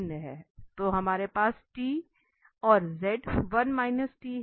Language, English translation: Hindi, So, we have the 1 here